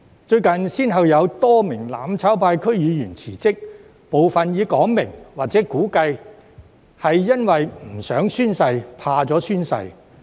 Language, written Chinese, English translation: Cantonese, 最近，先後有多名"攬炒派"區議員辭職，部分已表明或估計是由於拒絕或害怕宣誓。, Recently a number of DC members from the mutual destruction camp have resigned from office with some openly admitted their refusal to take the oath or suspected of chickening out